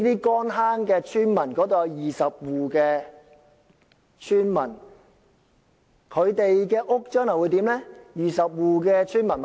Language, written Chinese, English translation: Cantonese, 乾坑村有20戶村民，他們的住屋將來會變成20座豪宅。, The houses of the 20 households in Kon Hang Village will be turned into 20 luxury apartments